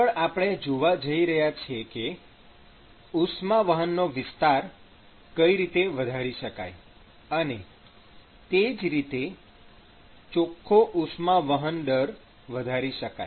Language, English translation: Gujarati, So, now, what we are going to see is how to increase the area of heat transport and thereby increase the net heat transfer rate